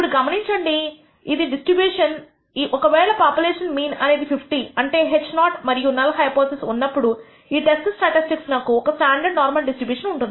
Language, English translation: Telugu, Now, notice that this will be the distribution if the population mean happens to be 50; that means, under h naught under the null hypothesis this test statis tic will have a standard normal distribution